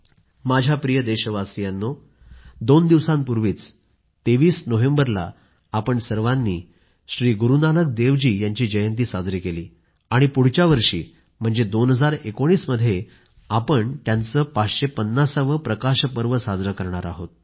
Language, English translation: Marathi, My dear countrymen, two days back on 23rd November, we all celebrated Shri Guru Nanak Dev Jayanti and next year in 2019 we shall be celebrating his 550th Prakash Parv